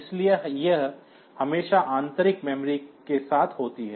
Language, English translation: Hindi, So, this is always with the internal memory